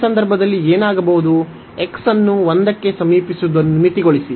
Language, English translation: Kannada, In this case what will happen now, so limit x approaching to 1